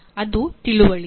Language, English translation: Kannada, That is understanding